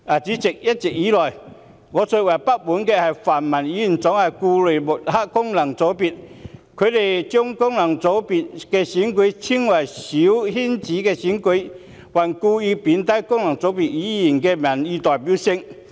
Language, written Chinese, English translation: Cantonese, 主席，一直以來，我最不滿泛民議員總是故意抹黑功能界別，將功能界別的選舉稱為"小圈子"選舉，還故意貶低功能界別議員的民意代表性。, President I have all along been most dissatisfied with the pan - democratic Members always discrediting FCs deliberately referring to FC elections as small - circle elections and they also play down on purpose the popular representativeness of Members returned by FCs